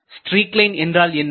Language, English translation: Tamil, So, what is a streak line